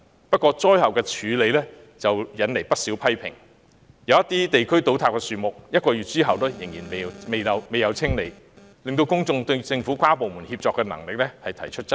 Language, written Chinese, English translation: Cantonese, 不過，災後處理卻惹來不少批評，有些地區的樹木在倒塌1個月後仍然未獲清理，令公眾對政府跨部門協作的能力提出質疑。, However the follow - up work has attracted much criticism and some fallen trees in some areas have not been cleared away one month after their collapse prompting members of the public to question the Governments ability in forging collaboration across bureaux and departments